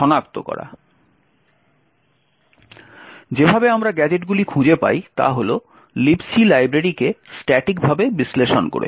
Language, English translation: Bengali, The way we find gadgets is by statically analysing the libc library